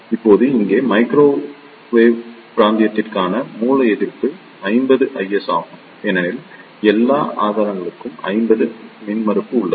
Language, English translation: Tamil, Now here, the source resistance for the microwave region is 50 ohm because all the sources have the 50 ohm impedance